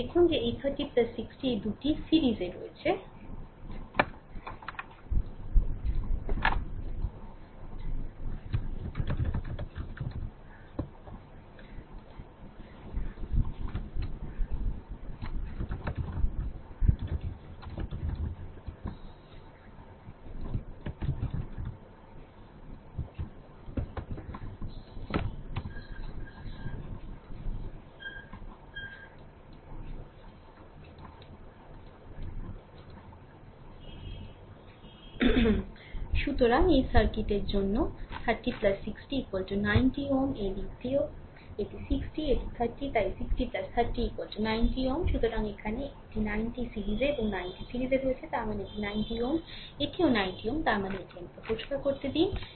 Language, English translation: Bengali, Now, look at that this 30 plus 60 this two are in series; so 30 plus 60 for this circuit is equal to 90 ohm, this side also this is 60 this is 30, so 60 plus 30 is equal to 90 ohm right